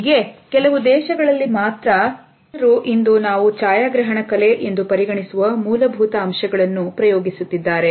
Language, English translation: Kannada, It was only in some preceding decades that people were experimenting with the basics of what we today consider as photography art